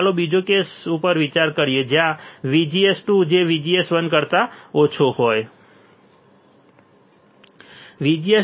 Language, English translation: Gujarati, Let us consider second case where VGS 2 is less than VGS 1